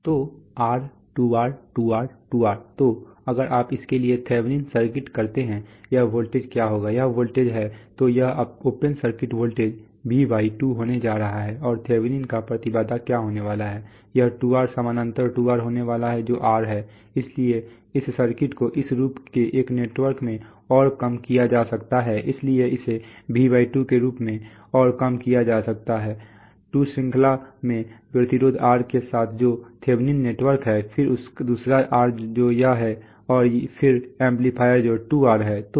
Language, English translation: Hindi, So R, 2R, 2R, 2R so if you do a thevenin's circuit for this, this, what will be this voltage, this voltage is, so these are the open circuit voltage is going to be V/2 ,so it is going to be V/2, here and what is going to be the thevenin's impedance it is going to be 2R parallel 2R which is R, so this circuit can be further reduced into a network of this form, so it can be further reduced as V/2 in series with the resistance R which is the Thevenin network then another R which is this one and then the amplifier which is 2R